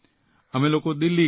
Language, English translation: Gujarati, He stays in Delhi